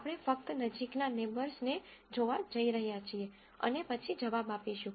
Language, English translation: Gujarati, We are just going to look at the nearest neighbors and then come up with an answer